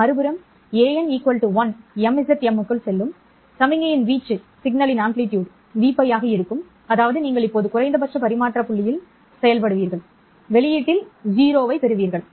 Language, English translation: Tamil, N is equal to 1, the amplitude of the signal going into the MZM will be v pi, which means that you will now be operating at the minimum transmission point and you get 0 at the output